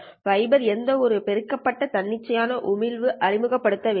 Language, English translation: Tamil, Well, the fiber is not introducing any amplified spontaneous emissions